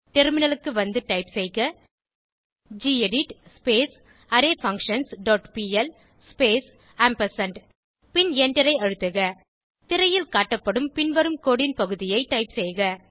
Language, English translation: Tamil, Switch to terminal and type gedit arrayFunctions dot pl space ampersand and Press Enter Type the following piece of code as shown on screen